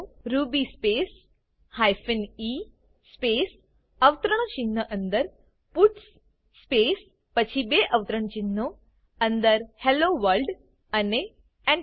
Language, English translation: Gujarati, Type the command ruby space hyphen e space within single quotes puts space then within double quotes Hello World and Press Enter